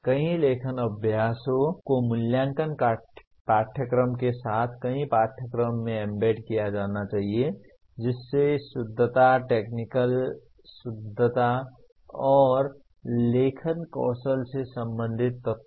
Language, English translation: Hindi, Several writing exercises should be embedded into a number of courses with evaluation rubrics having elements related to correctness, technical correctness and writing skills